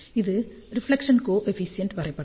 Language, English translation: Tamil, This is the reflection coefficient plot